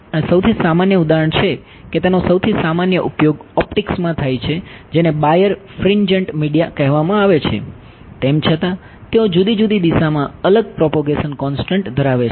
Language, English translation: Gujarati, And the most common example in the most common use of this is in optics what is called birefringent media